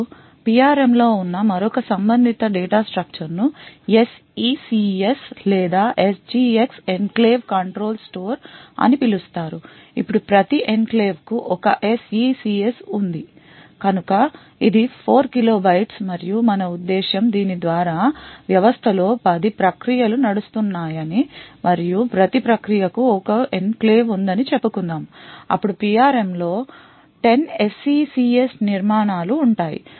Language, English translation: Telugu, Now another related data structure which is present in the PRM is known as the SECS or the SGX Enclave Control store now for each enclave there is one SECS so it is of 4 kilo bytes and what we mean by this is suppose there are let us say 10 processes running in the system and each process have one enclave then there would be 10 SECS structures present in the PRM